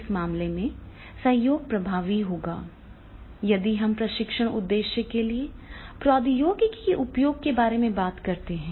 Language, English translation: Hindi, So therefore in that case this particular collaboration that will be very, very effective whenever we are talking about the use of technology for the training purpose